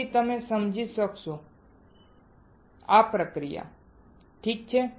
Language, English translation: Gujarati, Then you will understand alright